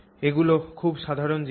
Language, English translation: Bengali, So, these are all very common things